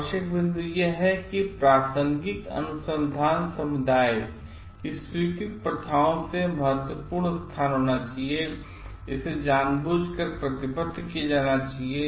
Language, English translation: Hindi, The required points are it should have a significant departure from accepted practices of relevant research community, it should be committed intentionally